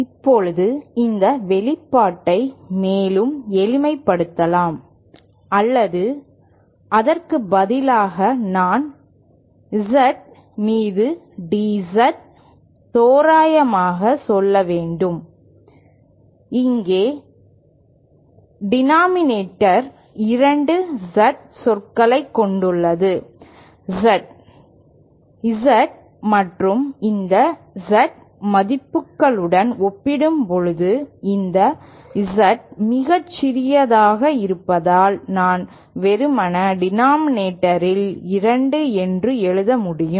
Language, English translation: Tamil, Now this expression can be further simplified or rather I should say approximates to DZ upon Z, here the denominator contains two Z terms, Z and this Z this DZ being very small compared to the Z values, I can simply write two in the denominator